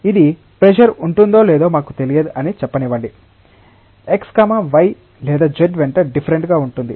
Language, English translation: Telugu, This will be let us say that, we do not know whether pressure will be different along x y or z